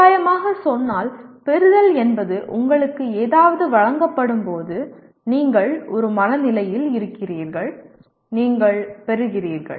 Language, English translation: Tamil, Roughly speaking, receiving means when something is presented to you, you are in a mood to, you are receiving